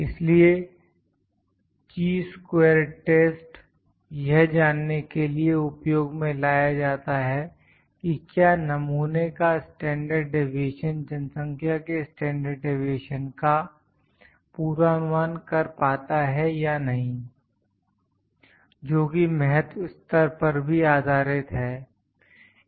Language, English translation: Hindi, So, Chi square test is used to find that whether the standard deviation of the sample predicts the value of standard deviation of population or not, that is also based upon the significance level